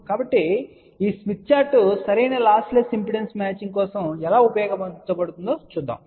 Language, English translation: Telugu, So, let us see how this smith chart can be used for proper lossless impedance matching